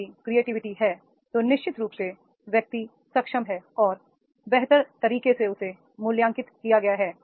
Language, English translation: Hindi, If the creativity is there then definitely the person is more and in a better way he has been apprised